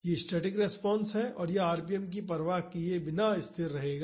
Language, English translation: Hindi, This is the static response and this will be constant irrespective of the rpm